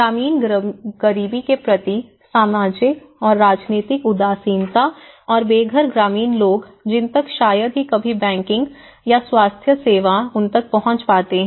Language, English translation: Hindi, The social and political indifference towards rural poverty and also the homelessness the rural residents rarely access to the banking services and even health care